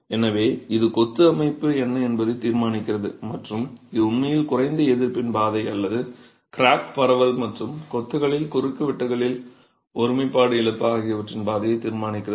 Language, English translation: Tamil, So, that determines what is the texture of the masonry and this actually determines the path of lease resistance or the path of crack propagation and loss of integrity in cross sections in masonry